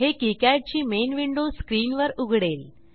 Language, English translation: Marathi, This will open KiCad main window